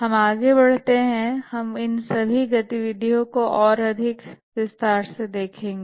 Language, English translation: Hindi, As we proceed, we will look at all these activities in more detail